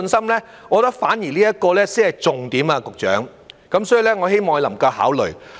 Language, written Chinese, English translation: Cantonese, 我認為這點反而才是重點，局長，所以我希望他能夠考慮。, I think this should be the key point instead Secretary so I hope he will consider it